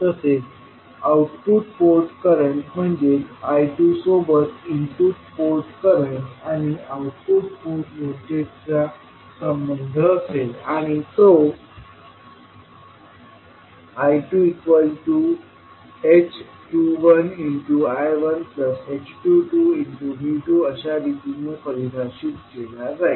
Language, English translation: Marathi, Similarly, output port current that is I2 will have a relationship between input port current and output port voltage and will define it as I2 is equal to h21 I1 plus h22 V2